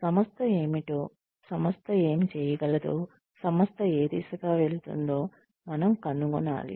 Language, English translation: Telugu, We need to find out, what the organization is, what the organization can do, what the organization is going towards